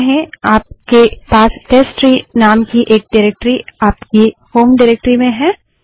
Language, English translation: Hindi, So say you have a directory with name testtree in your home directory